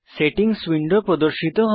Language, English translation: Bengali, The Settings window appears